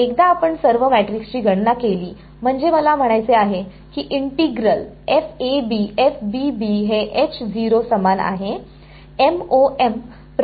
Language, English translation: Marathi, Once you calculate all the matrix I mean the integral I A I B is equal to h and 0, this is after the MoM procedure has been carried out